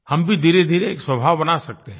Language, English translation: Hindi, Here too we can gradually nurture this habit